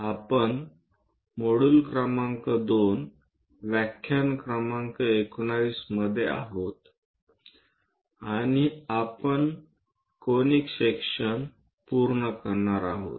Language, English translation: Marathi, We are in module number 2 and lecture number 19, and we are covering Conic Sections